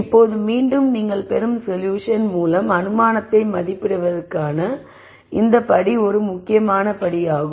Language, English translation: Tamil, Now, again this step of assessing in the assumption which is basically through the solution that you get is a critical step